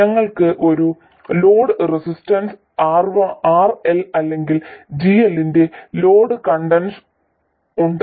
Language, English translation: Malayalam, And we have a load resistance RL, or a load conductance of GL